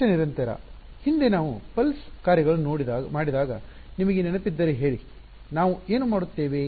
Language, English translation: Kannada, At least continuous; previously if you remember when we had done the pulse functions what will what did we do